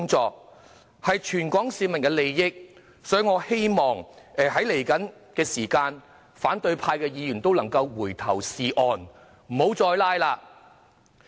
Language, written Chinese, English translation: Cantonese, 這是關乎全港市民的利益，所以，我希望在未來的時間，反對派議員能回頭是岸，不要再"拉布"。, This is about the interests of all Hong Kong people so I hope the opposition camp will come back onto the right track and stop filibustering